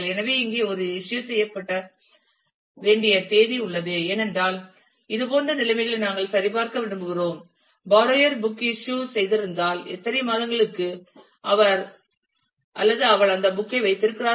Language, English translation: Tamil, So, here we have one the date of issue needs to be recorded, because we want to check conditions like; if the borrower is has issued the book and how many for how many months he or she is keeping that book